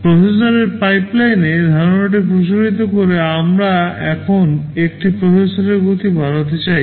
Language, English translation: Bengali, Extending the concept to processor pipeline, we want to increase the speed of a processor now